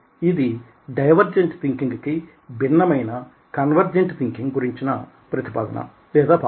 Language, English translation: Telugu, that's the concept of convergent as oppose to divergent thinking